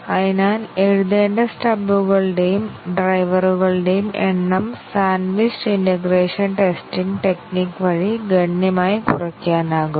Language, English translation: Malayalam, So, the number of stubs and drivers require to be written can be reduced substantially through a sandwiched integration testing technique